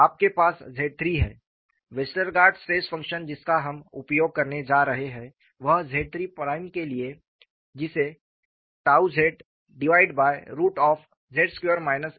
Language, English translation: Hindi, You have X 3, the Westergaard stress function what we are going to use is for Z 3 prime that is given as tau z divided by root of z squared minus a squared